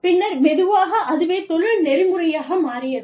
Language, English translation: Tamil, And then slowly, it became the industry norm